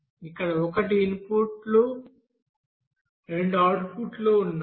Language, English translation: Telugu, Here one is input two outputs are there